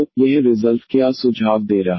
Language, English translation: Hindi, So, what this result is suggesting